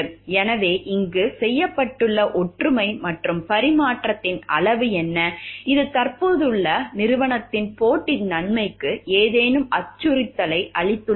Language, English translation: Tamil, So, what is the degree of similarity and transfer that has been done over here, and whether this has given any threat to the existing company’s competitive advantage